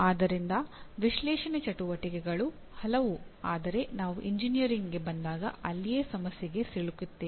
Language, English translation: Kannada, So analyze activities are very many but that is where we get into problem when we come to engineering